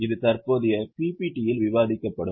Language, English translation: Tamil, This will be discussed in the current PPP